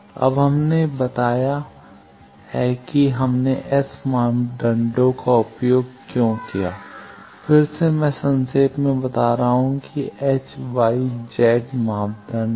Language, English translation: Hindi, Now, we have told that why we used S parameter, again I am summarizing that there are H Y Z parameters